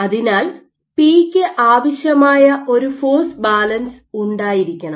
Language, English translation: Malayalam, So, you must have a force balance required by p